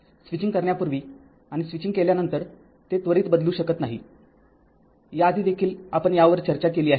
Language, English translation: Marathi, Just before switching and just after switching, it cannot change instantaneously; earlier also we have discussed this